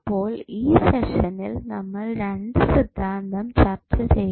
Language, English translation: Malayalam, So, in this particular session, we discussed about 2 theorems